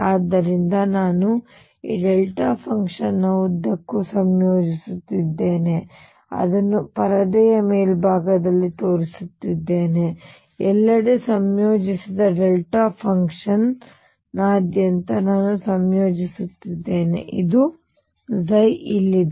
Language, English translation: Kannada, So, I am integrating just across this delta function I am showing it on the top of the screen, I am just integrating across the delta function I integrated everywhere; this is the psi here